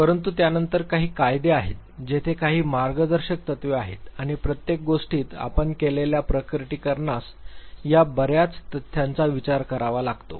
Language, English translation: Marathi, But then, there are certain laws, there are certain guiding principles and in everything the disclosure that you make has to take into account these many facts